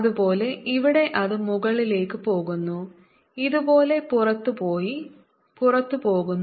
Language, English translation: Malayalam, like this: goes out and goes out, like this and goes up